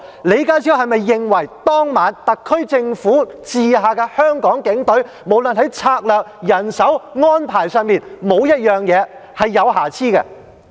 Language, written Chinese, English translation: Cantonese, 李家超是否認為當晚特區政府轄下的香港警隊，不論在策略、人手和安排上，在任何方面都沒有瑕疵？, Does John LEE think that the Hong Kong Police Force of the SAR Government on that evening did a flawless job in all aspects in terms of its strategies manpower deployment and arrangement?